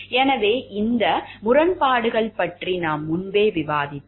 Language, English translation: Tamil, So, these conflicts of interest we have already discussed earlier